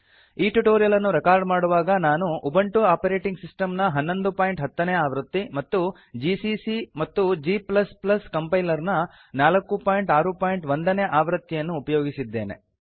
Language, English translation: Kannada, To record this tutorial, I am using Ubuntu Operating system version 11.10 gcc and g++ Compiler version 4.6.1